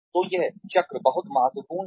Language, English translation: Hindi, So, this cycle is very important